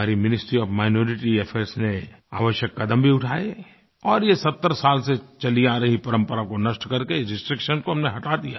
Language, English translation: Hindi, Our Ministry of Minority Affairs issued corrective measures and we ameliorated this restriction by phasing out a tradition that had been in practice for the past seventy years